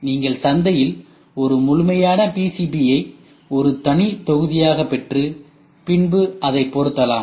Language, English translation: Tamil, You get a complete PCB in the market as a separate module and can be fitted